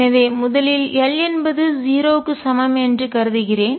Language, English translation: Tamil, So, let me consider l equals 0 case first